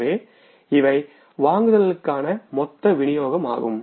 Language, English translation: Tamil, So total disbursements for purchases